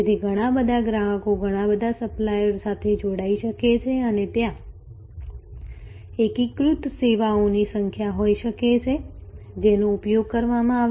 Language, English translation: Gujarati, So, lot of customers can connect to lot of suppliers and there can be number of aggregated services, which will be utilized